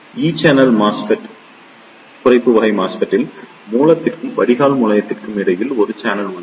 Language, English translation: Tamil, So, Depletion type MOSFET there is a channel between the source and the drain terminal